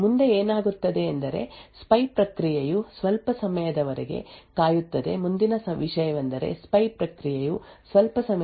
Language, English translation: Kannada, Next what happens is that the spy process waits for some time, the next what happens is that the spy process waits for some time and is essentially waiting for the victim process to begin execution